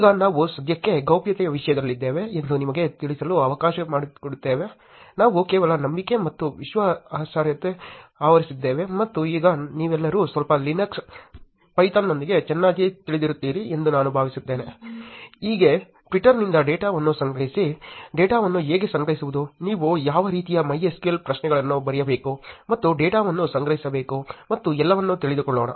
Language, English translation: Kannada, Now, just let to let you know we are in the topic of privacy for now, we just covered the trust and credibility, and I assume by now you are all very well versed with little bit of Linux little bit of a Python, how to collect data from twitter, how to store the data, what kind of MySQL queries you should write and collecting data and all that